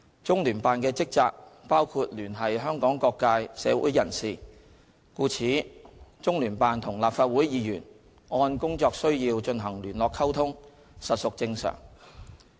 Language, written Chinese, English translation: Cantonese, 中聯辦的職能包括聯繫香港社會各界人士，故此，中聯辦與立法會議員按工作需要進行聯絡溝通，實屬正常。, As one of the functions of CPGLO is to liaise with various sectors of the community of Hong Kong it is normal for CPGLO to liaise and communicate with Legislative Council Members having regard to its operational needs